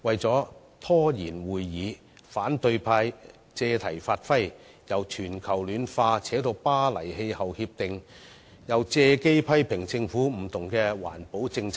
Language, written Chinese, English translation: Cantonese, 為拖延會議進程，反對派議員借題發揮，由全球暖化談到《巴黎協定》，又借機批評政府各項環保政策。, In a bid to delay our proceedings the opposition Members have exploited the present topic to discuss irrelevant matters ranging from global warming to the Paris Agreement . They have also taken the opportunity to criticize various environmental initiatives of the Government